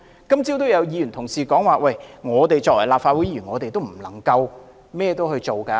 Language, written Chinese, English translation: Cantonese, 今早也有議員提到，我們身為立法會議員，也不能為所欲為。, This morning some Members said that we as Members of the Legislative Council cannot do whatever we want